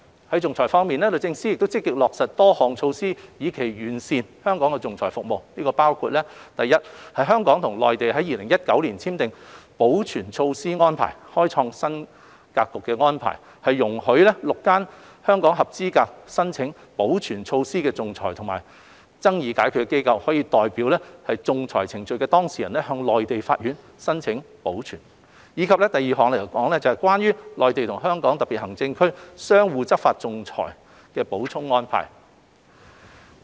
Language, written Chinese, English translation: Cantonese, 在仲裁服務方面，律政司積極落實多項措施以期完善香港的仲裁服務，包括： a 香港與內地在2019年簽訂了保全措施安排，開創新格局的安排容許6間香港合資格申請保全措施的仲裁及爭議解決機構，可以代表仲裁程序的當事人向內地法院申請保全；及 b《關於內地與香港特別行政區相互執行仲裁裁決的補充安排》。, As regards arbitration services DoJ is actively materializing a number of initiatives with a view to improving arbitration services in Hong Kong which include a the game - changing interim measures arrangement signed between Hong Kong and the Mainland in 2019 which allows parties to arbitral proceedings which are seated in Hong Kong and administered by one of the six arbitral institutions to seek assistance from the relevant court in the Mainland to obtain interim measures; and b the Supplemental Arrangement Concerning Mutual Enforcement of Arbitral Awards between the Mainland and the Hong Kong Special Administrative Region